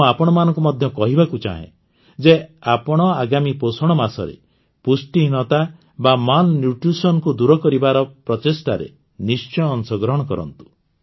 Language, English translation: Odia, I would urge all of you in the coming nutrition month, to take part in the efforts to eradicate malnutrition